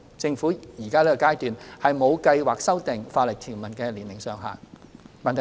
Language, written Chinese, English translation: Cantonese, 政府現階段沒有計劃修訂法例條文的年齡上限。, The Government has no plan to review the upper age limit of the relevant legislation at this stage